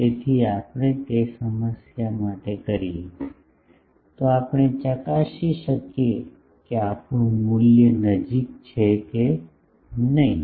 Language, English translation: Gujarati, So, if we do that for the same problem, then we can check whether our that value is near